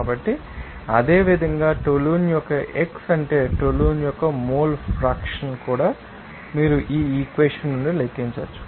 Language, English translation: Telugu, So, similarly x of toluene that means mole fraction of toluene also you can calculate from this you know the equation